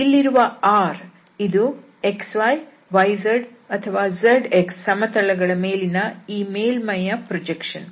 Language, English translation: Kannada, And this r is the projection of this surface on the xy, yz, or zx plane